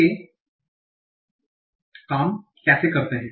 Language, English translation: Hindi, How do they do that